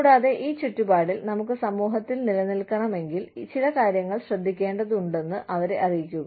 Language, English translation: Malayalam, And, let them know that, if we want to survive in the society, in this environment, we need to take care of certain things